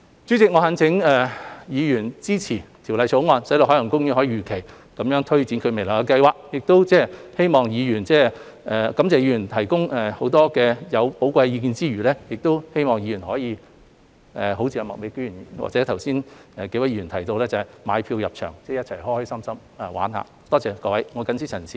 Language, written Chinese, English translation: Cantonese, 主席，我懇請議員支持《條例草案》，使海洋公園公司能如期推展未來的計劃，在感謝議員提供許多寶貴意見之餘，也希望各位議員能像麥美娟議員或剛才幾位議員提到，會購票入場，高高興興地在公園暢遊。, President I implore Members to support the Bill so that OPC can take forward its future plans as scheduled . I thank Members for their many valuable comments and hope that as Ms Alice MAK and a few other Members have mentioned Members will buy tickets and enjoy their visit to OP